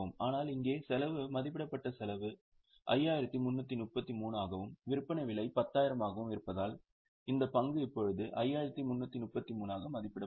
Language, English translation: Tamil, But here since the cost estimated cost is 533 and selling price is 10,000, the stock will now be valued at 533